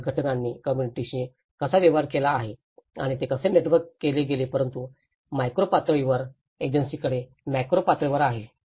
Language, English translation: Marathi, So, how the organizations have dealt with the communities and how it has been networked but very macro level to the micro level agency